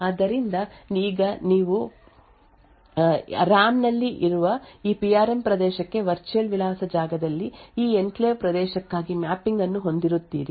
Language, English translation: Kannada, So, therefore you would now have a mapping for this enclave region within the virtual address space to this PRM region in the RAM